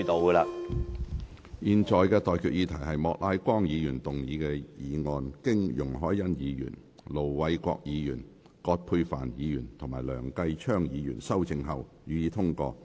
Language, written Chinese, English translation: Cantonese, 我現在向各位提出的待決議題是：莫乃光議員動議的議案，經容海恩議員、盧偉國議員、葛珮帆議員及梁繼昌議員修正後，予以通過。, I now put the question to you and that is That the motion moved by Mr Charles Peter MOK as amended by Ms YUNG Hoi - yan Ir Dr LO Wai - kwok Dr Elizabeth QUAT and Mr Kenneth LEUNG be passed